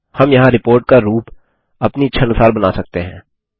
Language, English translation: Hindi, We can customize the look and feel of the report here